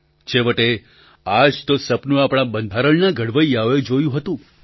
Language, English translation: Gujarati, After all, this was the dream of the makers of our constitution